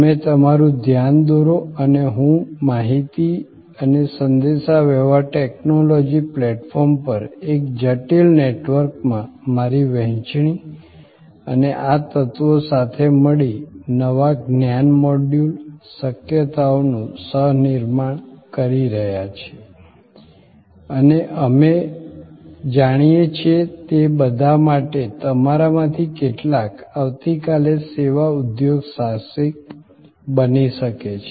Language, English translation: Gujarati, You bring your attention and I bring my sharing and these elements in a complex network over information and communication technology platforms are together co creating new knowledge modules, possibilities and for all we know, some of you may become tomorrow service entrepreneurs